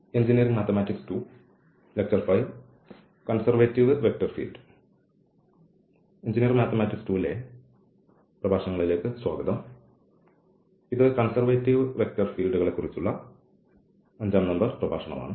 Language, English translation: Malayalam, So, welcome to the lectures on engineering mathematics 2 and this is lecture number five on Conservative Vector Fields